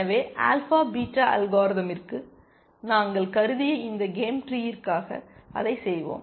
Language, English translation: Tamil, So, let us do that for this game tree that we had considered for the alpha beta algorithm